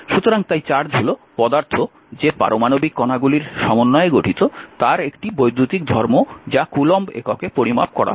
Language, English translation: Bengali, So, therefore, charge is an electrical property of the atomic particles of which matter consists measured in coulomb